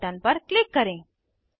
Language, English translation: Hindi, Click on Add button